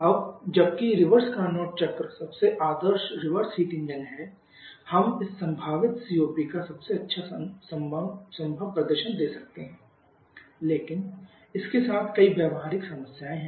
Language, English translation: Hindi, Now, while the reverse Carnot cycle is the most ideal reverse engine we can have giving the best possible performance of this possible COP but there are several practical problems with it